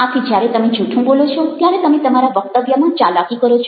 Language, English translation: Gujarati, so when you are telling a lie, you are manipulating your speech